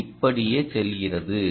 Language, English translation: Tamil, so it goes, goes on like this